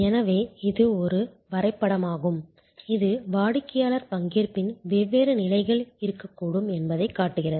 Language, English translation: Tamil, So, this is a diagram which simply shows that there can be different level of customer participation